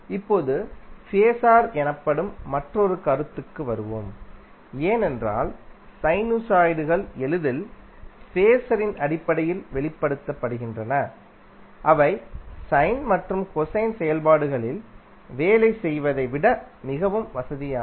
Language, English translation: Tamil, Now let's come to another concept called phaser because sinusoids are easily expressed in terms of phaser which are more convenient to work with than the sine or cosine functions